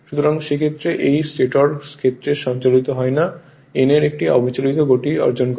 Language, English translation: Bengali, Now if it rotate it runs in the direction of the stator field and acquire a steady state speed of n right